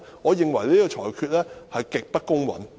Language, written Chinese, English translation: Cantonese, 我認為主席的裁決極不公允。, I find the ruling of the President extremely unfair